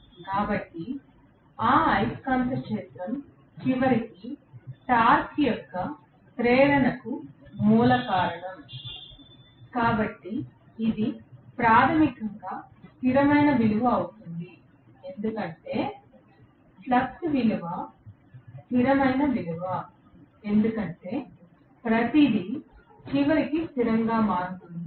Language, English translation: Telugu, So, that magnetic field is the one which is the root cause for the induction of the torque ultimately, so it will be a steady value basically because, the flux value is a constant value because of which everything ultimately becomes steady, right